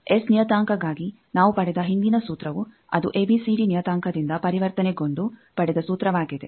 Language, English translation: Kannada, Now, for let us do that the previous formula we derived for the S parameter that was from conversion from ABCD parameter